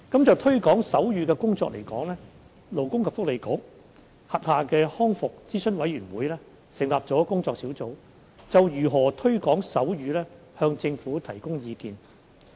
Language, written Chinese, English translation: Cantonese, 就推廣手語的工作而言，勞工及福利局轄下的康復諮詢委員會成立了工作小組，就如何推廣手語向政府提供意見。, Regarding the promotion of sign language the Rehabilitation Advisory Committee RAC under the Labour and Welfare Bureau has set up a working group to advise the Government on ways to promote sign language